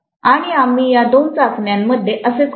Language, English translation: Marathi, And that is what we do in these two tests